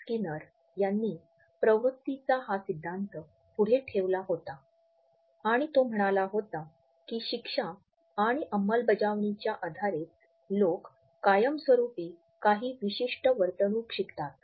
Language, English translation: Marathi, Skinner a famous behavioral scientist had put forward this theory of motivation and he had said that it is on the basis of the punishment and reinforcement that people learn certain behaviors almost in a permanent fashion